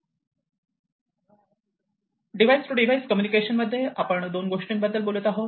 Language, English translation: Marathi, Device to device communication here we are talking about this kind of thing